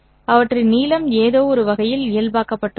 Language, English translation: Tamil, Their lengths in some sense has been normalized